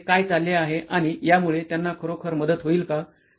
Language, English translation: Marathi, So what is going on here and will this actually help them with that